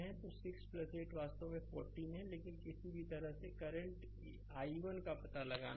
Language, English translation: Hindi, So, 6 plus 8 is actually 14 ohm, but any way you have to find out the current i 1